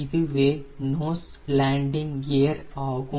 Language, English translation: Tamil, this is the nose landing gear